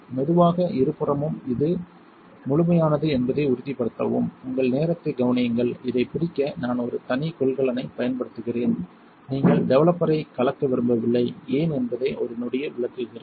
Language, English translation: Tamil, Slowly on both sides to make sure it is thorough and take your time notice I am using a separate container to catch this you do not want to mix the developer, I will explain why in a second